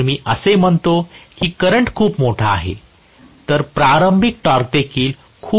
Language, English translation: Marathi, If I say that the current is very large, the starting torque is also going to be extremely large